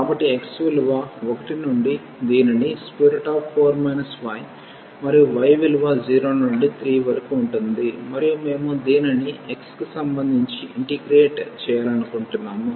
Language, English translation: Telugu, So, x from 1 to this is square root 4 minus y and y is 0 to 3 and we want to integrate this with respect to x first